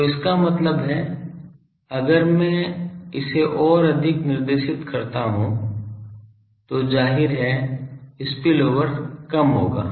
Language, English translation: Hindi, So, that means, if I make it more directed then the obviously, spillover will be less